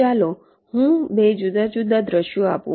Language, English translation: Gujarati, here let me give two different scenarios